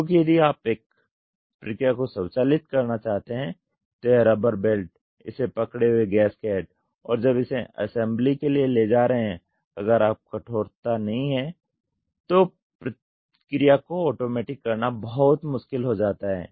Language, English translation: Hindi, Because since these rubber if you want to automate a process this rubber rubber belt, gaskets holding it and taking it for assembly if the stiffness is not so high then it becomes very difficult to automate the process